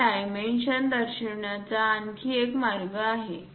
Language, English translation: Marathi, There is other way of showing these dimension